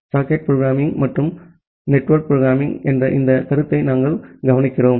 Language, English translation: Tamil, We look into this concept of socket programming and network programming